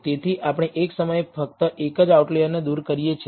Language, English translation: Gujarati, So, we do remove only one outlier at a time